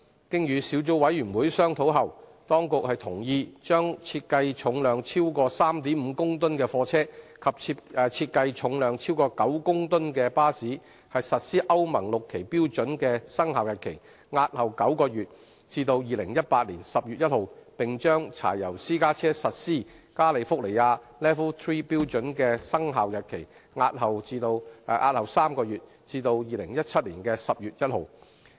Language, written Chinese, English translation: Cantonese, 經與小組委員會商討後，當局同意將設計重量超過 3.5 公噸的貨車及設計重量超過9公噸的巴士實施歐盟 VI 期標準的生效日期，押後9個月至2018年10月1日；並將柴油私家車實施加利福尼亞 LEV III 標準的生效日期，押後3個月至2017年10月1日。, Subsequent to the discussion with the Subcommittee the Administration has agreed to defer the commencement date of the Euro VI standards for goods vehicles with design weight of more than 3.5 tonnes and buses with design weight of more than 9 tonnes by nine months to 1 October 2018 and the commencement date of the California LEV III standards for diesel private cars by three months to 1 October 2017